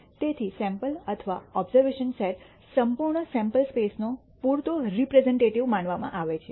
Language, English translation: Gujarati, So, the sample or observation set is supposed to be sufficiently representative of the entire sample space